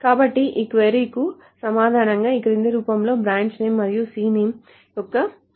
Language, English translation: Telugu, So the answer to this query is looks like is of the following form is of the branch name and count of C name